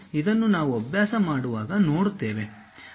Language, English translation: Kannada, When we are practicing we will see